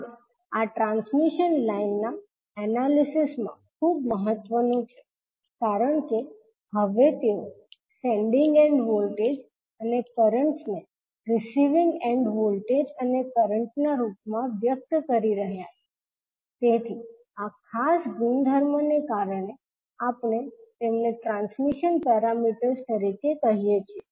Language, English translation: Gujarati, Now this is very important in the analysis of transmission lines because now they are expressing the sending end voltages and currents in terms of receiving end voltage and current so because of this particular property we call them as a transmission parameters